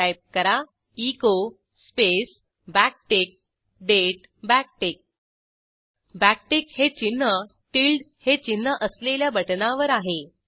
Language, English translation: Marathi, Type echo space backtick date backtick backtick symbol is present on the key which has tilde character